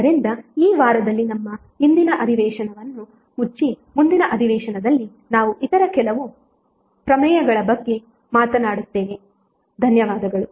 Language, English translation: Kannada, So with this week close our today’s session next session we will talk about few other theorems thank you